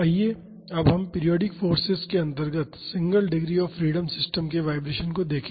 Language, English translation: Hindi, Now, let us look into Vibration of single degree of freedom systems under Periodic Forces